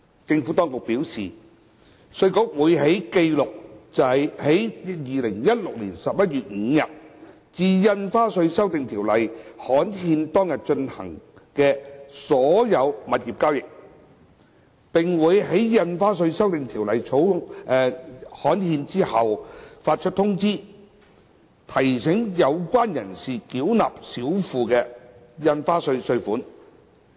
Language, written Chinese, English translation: Cantonese, 政府當局表示，稅務局會記錄在2016年11月5日至《印花稅條例》刊憲當日進行的所有物業交易，並會在《印花稅條例》刊憲後發出通知書，提醒有關人士繳納少付的印花稅稅款。, The Inland Revenue Department IRD will record all the property transactions between 5 November 2016 and the date on which the Stamp Duty Amendment Ordinance is gazetted . Reminders to demand for the stamp duty underpaid will be issued after the gazettal of the Stamp Duty Amendment Ordinance